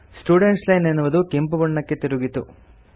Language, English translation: Kannada, The Student Line has become red